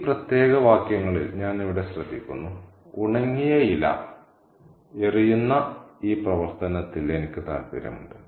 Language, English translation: Malayalam, I'm here in this particular couple of sentences I'm interested in this action of throwing the dry leaf